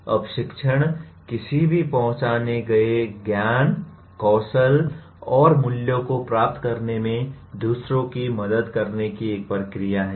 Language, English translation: Hindi, Now teaching is a process of helping others to acquire whatever identified knowledge, skills and values